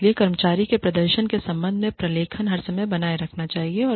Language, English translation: Hindi, So, documentation regarding, an employee's performance, should be maintained, at all times